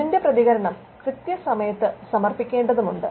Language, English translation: Malayalam, The response has to be filed on time